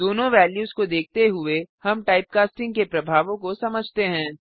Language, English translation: Hindi, Looking at the two values we see the effects of typecasting